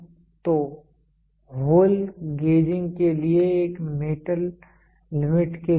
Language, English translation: Hindi, So, this is for a metal limits for hole gauging